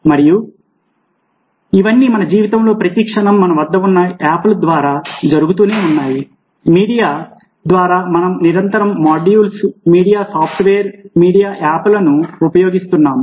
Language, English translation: Telugu, and all this is happening every moment of our life through the apps that we have, through the media, media, let say, modules, media software, media apps that we keep on using